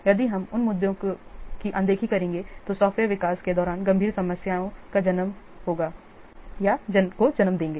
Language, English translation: Hindi, If you will ignore these issues, that will lead to severe problems during the software development